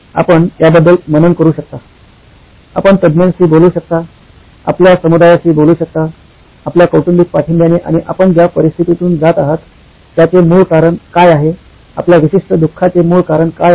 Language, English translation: Marathi, You can meditate about it, you can talk to experts, you can talk to your community, your family support and get the root cause of what is it that you are going through, what is the root cause of your particular suffering